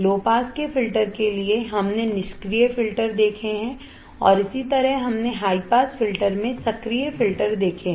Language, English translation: Hindi, For low pass filters we have seen passive filters and we have seen active filters same way in high pass filter